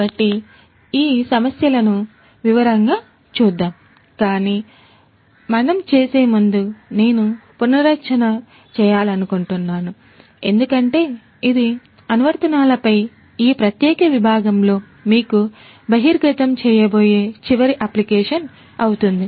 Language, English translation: Telugu, So, let us look at these issues in detail, but before we do that I would like to have a recap because this is going to be the last application that I am going to expose you to in this particular section on applications